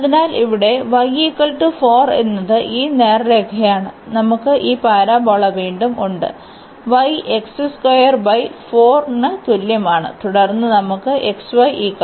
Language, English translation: Malayalam, So, we have here y is equal to 4 this straight line, we have this parabola again y is equal to x square by 4 and then we have x y is equal to 2